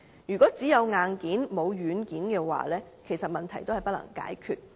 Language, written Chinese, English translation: Cantonese, 如果只有硬件，而沒有軟件，其實問題仍然不能解決。, Relying on the hardware alone we cannot handle the problem without the right software